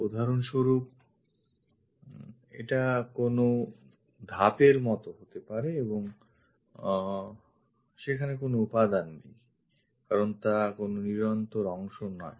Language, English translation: Bengali, For example, this might be something like a step and there is no material here because this is not a continuous portion